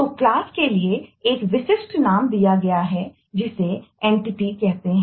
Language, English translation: Hindi, so you have a specific name given for classes and named entity